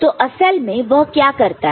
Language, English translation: Hindi, So, what is it what does it do actually